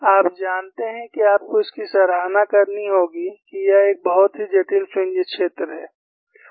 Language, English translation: Hindi, And you will have to appreciate that this is very complex fringe field